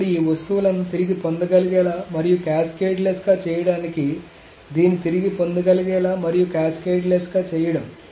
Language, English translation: Telugu, So now to make these things recoverable and cascade less, so this is to making this recoverable and cascade less and cascade less